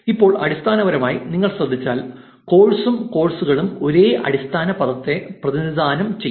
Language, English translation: Malayalam, Now, essentially if you notice, course and courses represent the same base word which is course